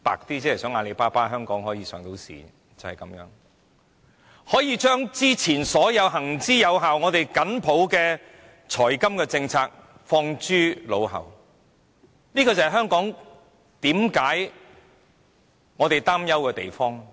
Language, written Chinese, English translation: Cantonese, 就是因為如此一個理由，便可以把之前所有行之有效，我們緊抱的財金政策拋諸腦後，這便是我們所擔憂的地方。, And for such a justification the time - tested and tightly upheld financial principles of ours are to be relinquished . This is the source of our worries